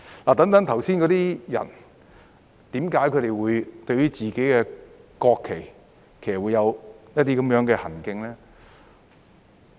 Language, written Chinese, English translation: Cantonese, 我剛才提到的人士，為何他們對自己的國旗有這樣的行徑呢？, Why did the people I mentioned just now behave like this towards their own national flag?